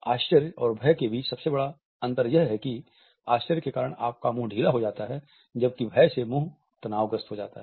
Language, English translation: Hindi, The biggest difference between this and fear is that surprise causes your mouth to be loose, while fear the mouth is tensed